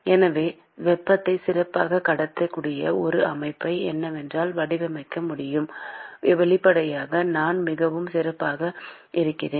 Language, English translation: Tamil, So, if I can design a system which can transport heat better, then obviously, I am much better placed